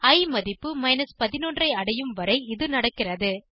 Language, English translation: Tamil, This goes on till i reaches the value 11